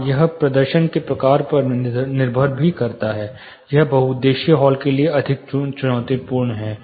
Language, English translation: Hindi, Yes, it depends on the type of performances; it is more challenging for multipurpose halls